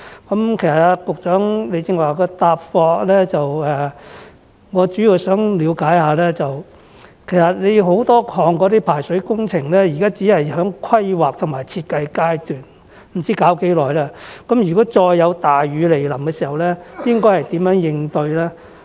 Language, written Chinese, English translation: Cantonese, 關於局長剛才的答覆，我主要想了解的是，多項排水工程現在只處於規劃和設計階段，不知道需時多久才能完成，那麼當再有大雨來臨時，當局應如何應對呢？, What I mainly want to find out more about the Secretarys reply is that since a number of drainage projects are currently under planning and design and it is not known how long it will take to complete them how will the authorities tackle the recurrence of heavy rainstorms?